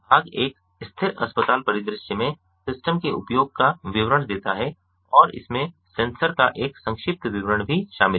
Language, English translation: Hindi, part one details the use of the system in a static hospital scenario and it also includes a brief description of the sensors